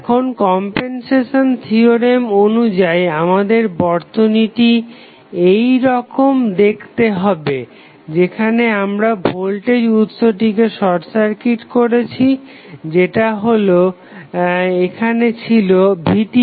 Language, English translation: Bengali, So, now, as per compensation theorem our circuit would be like this, where we are short circuiting the voltage source which is there in the network in this case it was Vth